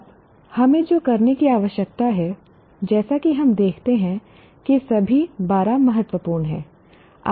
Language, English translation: Hindi, Now what we need to do is as you look at it all the 12 are important